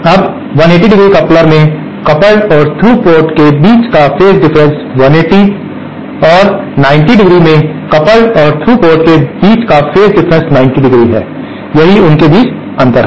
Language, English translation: Hindi, Now, in a 180¡ coupler, the phase difference between the coupled and through ports is 180¡ and in 90¡, the coupled and through ports have a 90¡ phase shift, that is the difference between them